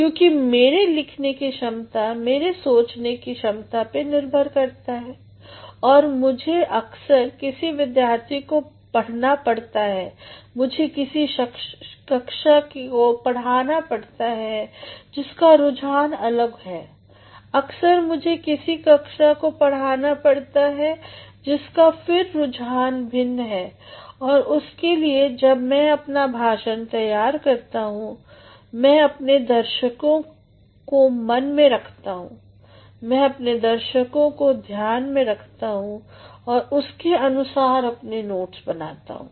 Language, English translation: Hindi, Because in my teaching abilities lies my reasoning abilities and I at times, have to teach a student, I have to teach a class which has the different orientation, at times I have to teach a class, which once again has got different orientations and for that when I prepare my lectures, I keep my audience into mind, I keep my audience into consideration and then I prepare my notes